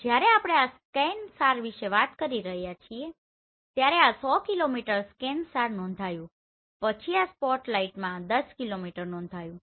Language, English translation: Gujarati, When we are talking about this ScanSAR this 100 kilometer was reported then spotlight this is 10 kilometer